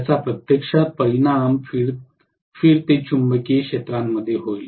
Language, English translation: Marathi, It will actually result in a revolving magnetic field